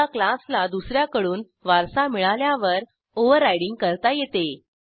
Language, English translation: Marathi, Overriding occurs when one class is inherited from another